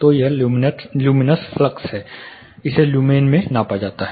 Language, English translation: Hindi, So, this is luminous flux it is measured in lumens